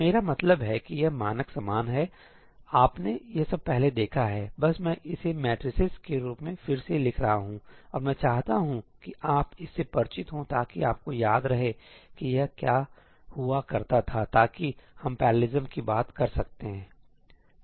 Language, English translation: Hindi, I mean this is standard stuff, you have seen all this before, just I am rewriting it in the form of matrices and I just want you to be familiar with this so that you remember what this used to be, so that we can talk about parallelism